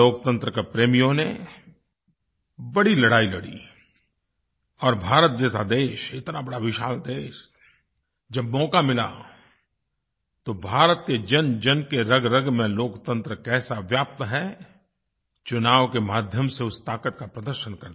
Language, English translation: Hindi, The believers of democracy fought a prolonged war, and the great nation that India is, where the spirit of democracy pervades the very being of all its people, the strength of that spirit was demonstrated when the opportunity of elections came